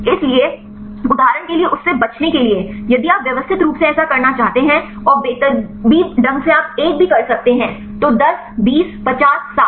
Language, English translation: Hindi, So, in order to avoid that right for example, if you want to systematically do that and randomly also you can do right 1 then 10, 20, 50, 60